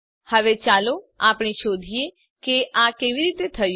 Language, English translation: Gujarati, Now let us find out how this happened